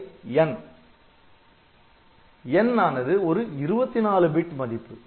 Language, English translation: Tamil, So, n is a 24 bit value